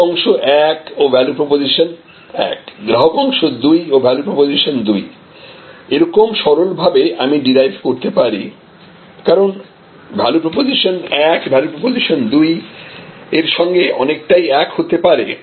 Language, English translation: Bengali, So, customer segment 1 and value proposition 1, customer segment 2 and value proposition 2, this is the simplistic way I am deriving because; obviously, value proposition 1 may be quite allied to value proposition 2